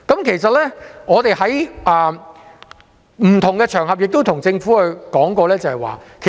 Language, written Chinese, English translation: Cantonese, 其實，我們在不同場合曾向政府指出這種情況。, In fact we have pointed out this kind of situation to the Government on various occasions